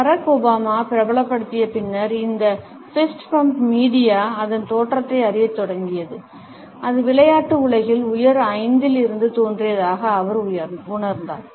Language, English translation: Tamil, After Barack Obama had popularized this fist bump media had started to trace it’s origins and he felt that it had originated from the high five of the sports world